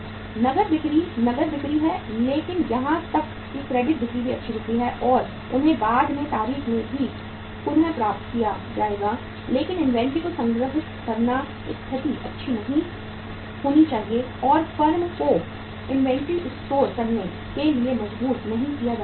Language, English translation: Hindi, Cash sales are cash sales but even the credit sales are also good sales and they will also be recovered at the later date but storing the inventory should not be the situation and the firm should not be compelled to store the inventories